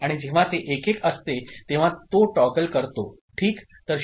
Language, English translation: Marathi, And when it is 1 1, it toggles ok